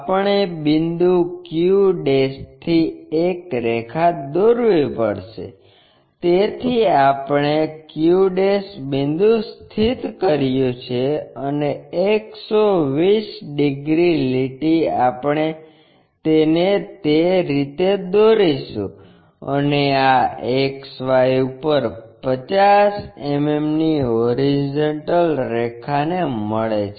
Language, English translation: Gujarati, We have to draw a line from point q', so we have located q' point and a 120 degrees line we will draw it in that way, and this meets horizontal line at 50 mm above XY